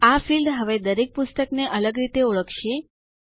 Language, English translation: Gujarati, This field now will uniquely identify each book